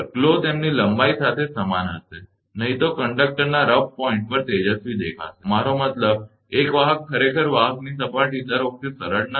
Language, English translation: Gujarati, The glow will be uniform along their length, otherwise the rough points of the conductor will appear brighter, I mean a conductor actually conductor surface is not smooth all the time